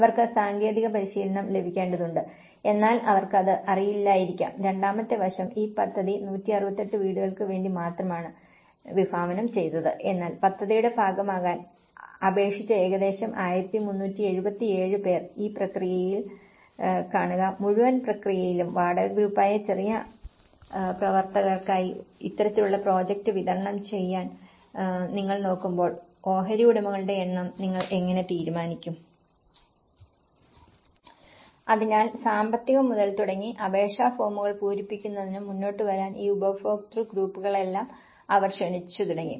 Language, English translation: Malayalam, Because they need to get the technical training and they are not may not be aware of it and the second aspect is this project was only conceived for 168 houses but about 1377 who have applied to be part of the project, see in this process; in the whole process, when you are looking at delivered this kind of project for with the small actors who are the rental group, how will you decide on the number of stakeholders